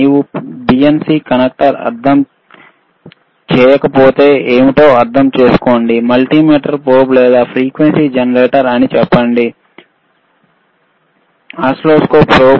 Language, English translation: Telugu, iIf you do n ot understand what is BNC connector is, just say multimeter probe or frequency generator probe, oscilloscope probe, right